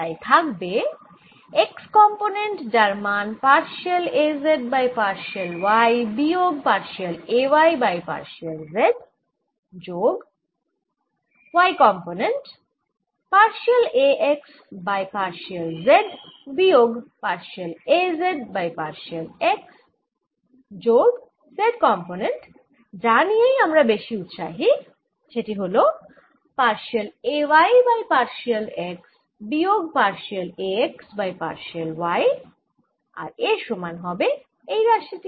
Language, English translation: Bengali, that's why x component, which is partial a z, partial y, minus, partial a, y, partial, z plus y component, partial a, x, partial z minus partial a z, partial x plus z component, which i am really interested in, partial a, y, partial x minus, partial a, x, partial, and this should be equal to this quantity